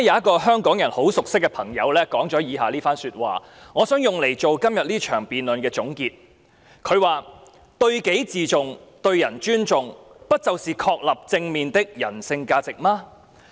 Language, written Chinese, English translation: Cantonese, 主席，昨天有一位香港人很熟悉的朋友說了以下一番說話，我希望以之為今天這項議案辯論作出總結："對己自重，對人尊重，不就是確立正面的人性價值嗎？, President yesterday our friend who is well known to Hong Kong people made the following remarks which I would like to use to conclude this motion debate Showing respect for oneself and others is it not a positive human value that we should establish?